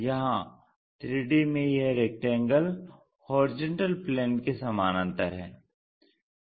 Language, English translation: Hindi, This is the one, at 3D this rectangle is parallel